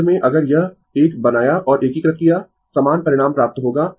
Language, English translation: Hindi, Ultimate ultimately, if you make this one and integrate, you will get the same result